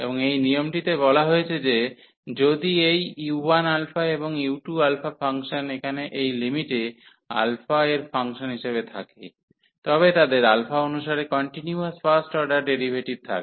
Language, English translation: Bengali, And this rule says that if these u 1 alpha and u 2 alpha the function sitting in the limits here as a function of alpha, they have continuous first order derivatives with respect to alpha